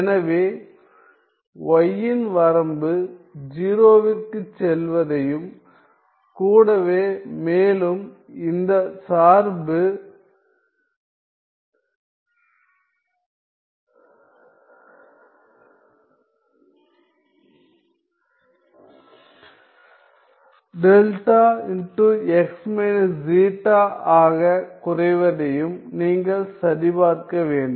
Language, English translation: Tamil, So, you need to check that in the limit y going to 0 plus this function reduces to delta of x minus zeta